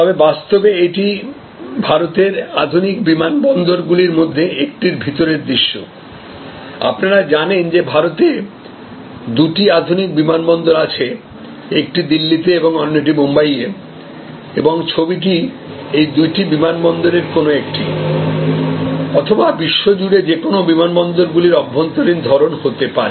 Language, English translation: Bengali, But, in reality, this is the interior view of one of the modern airports of India, as you know there are two modern fresh minted airports at one in Delhi and one in Mumbai and this could be an interior sort of any one of those or any other airport for that matter across the world